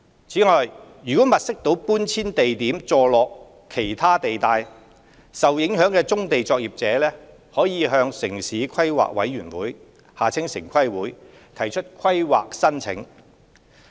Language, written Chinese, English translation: Cantonese, 此外，如物色到的搬遷地點座落其他地帶，受影響棕地作業者可向城市規劃委員會提出規劃申請。, In addition if the site identified for relocation is under another zoning the affected brownfield operators may submit a planning application to the Town Planning Board TPB